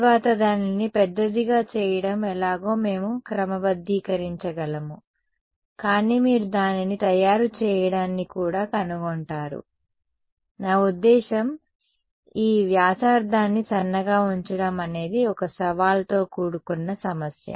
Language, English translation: Telugu, Later on we can sort of appreciate how to make it bigger, but you will find that even making the; I mean keeping this radius to be thin is itself a challenging problem